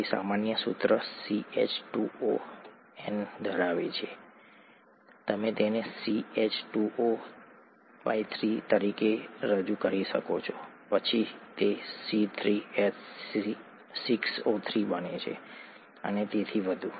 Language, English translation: Gujarati, It has the general formula N, you could represent it as 3, then it becomes C3H603 and so on